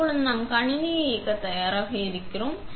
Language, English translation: Tamil, So, now we are ready to turn the system off